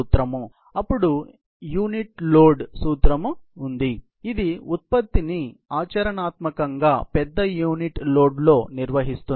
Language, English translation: Telugu, Then there is a unit load principle, which handles the product in as large a unit load as practical